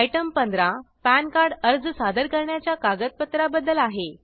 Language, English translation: Marathi, Item 15, is about documents to be submitted for Pan Card application